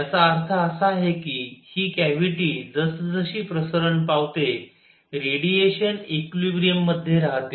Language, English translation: Marathi, This means in this cavity as it expands, the radiation remains at equilibrium